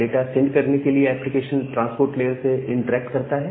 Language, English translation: Hindi, So, the application have to interact with the transport layer to send or receive data